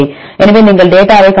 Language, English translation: Tamil, So, you can see the data